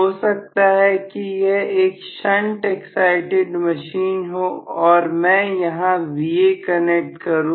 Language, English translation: Hindi, May be it is a shunt excited machine and I am connecting Va here